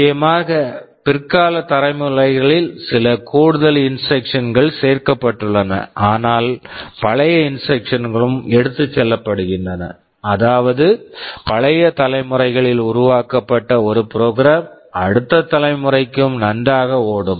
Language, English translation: Tamil, Of course in the later generations some additional instructions have been added, but the older instructions are also carried through, such that; a program which that was developed for a older generation would run pretty well for the next generation also right